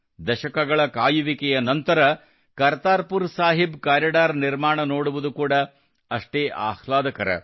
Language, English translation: Kannada, It is equally pleasant to see the development of the Kartarpur Sahib Corridor after decades of waiting